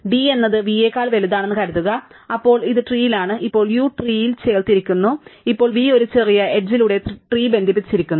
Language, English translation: Malayalam, Suppose d is bigger than d prime, then now that this is in the tree, now that u has been added in the tree, now v is connected by a smaller edge to the tree, right